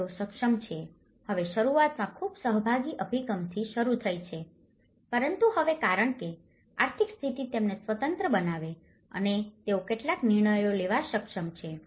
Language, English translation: Gujarati, So, they are able to, now in the beginning though initially, it has started with a very participatory approach but now because the economic status is making them independent and they are able to take some decisions